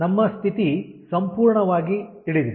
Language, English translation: Kannada, so our ah condition is fully known